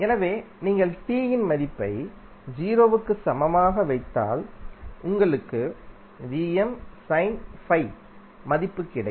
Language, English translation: Tamil, It means that at time t is equal to 0, this signal has some value